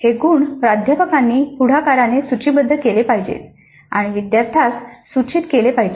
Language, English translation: Marathi, So these attributes have to be listed by the faculty upfront and communicated to the students